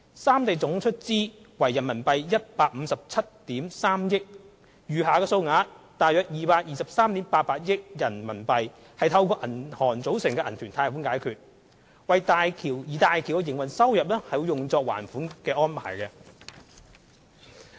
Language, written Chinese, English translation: Cantonese, 三地總出資額為157億 3,000 萬元人民幣，餘下的數額約223億 8,800 萬元人民幣則透過銀行組成的銀團貸款解決，而大橋的營運收入會作還款之用。, The three regions would contribute a total of RMB15.73 billion . The remaining sum of about RMB22.388 billion would be financed by a loan from a syndicate of banks which would be repaid using operating revenue